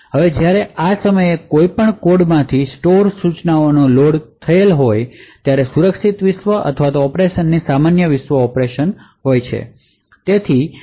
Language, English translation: Gujarati, Now every time there is load of store instruction from one of these codes either the secure world or the normal world mode of operation